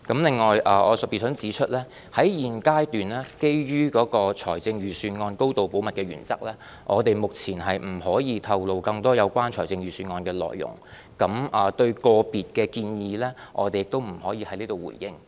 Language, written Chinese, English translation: Cantonese, 另外，我特別想指出，在現階段，基於財政預算案高度保密的原則，我們目前不可以透露更多有關預算案的內容，對於個別建議，我們也不能在此回應。, Besides I especially want to highlight that at the present stage due to the principle of high confidentiality pertaining to the Budget we cannot disclose further details about the Budget nor can we respond to individual proposals